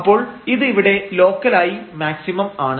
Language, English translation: Malayalam, So, here this is a maximum locally